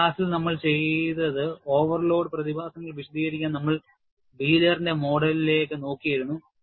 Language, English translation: Malayalam, So, in this class, what we had done was, we had looked at Wheeler's model, to explain the overload phenomena